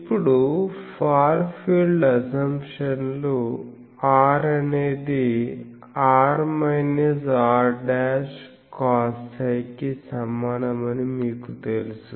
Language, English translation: Telugu, Now, far field assumptions all you know that R is equal to r minus r dashed cos psi